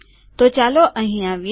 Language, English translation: Gujarati, So lets come here